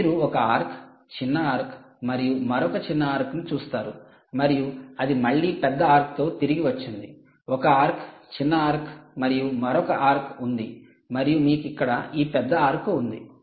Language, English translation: Telugu, you see one arc, a smaller arc and another smaller arc and its back again with the longer, with bigger arc, sorry, not longer, bigger arc